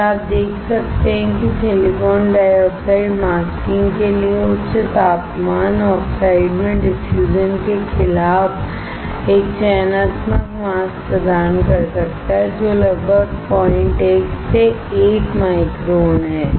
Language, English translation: Hindi, You can then see silicon dioxide can provide a selective mask against diffusion at high temperature oxides for masking which is about 0